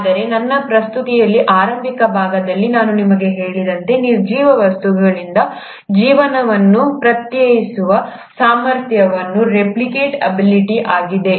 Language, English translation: Kannada, But, as I told you in the initial part of my presentation, what sets apart life from the non living things is the ability to replicate